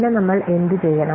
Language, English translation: Malayalam, So what will do